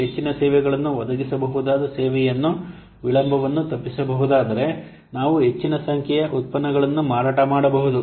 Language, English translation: Kannada, If the delay can be avoided, the service we can provide more services, we can sell more number of products